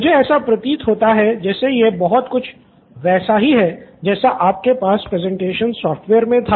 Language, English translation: Hindi, So it sounds to me like it is very similar to what you had in the presentation software, okay